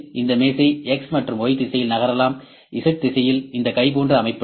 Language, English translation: Tamil, This table can move in X and Y direction; in Z direction this arm can move ok